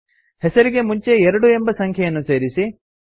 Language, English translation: Kannada, Add a number 2 before the name